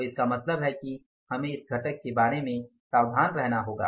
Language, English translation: Hindi, So, it means we have to say be careful about this component